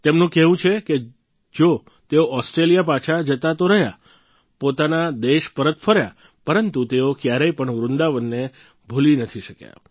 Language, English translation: Gujarati, She says that though she returned to Australia…came back to her own country…but she could never forget Vrindavan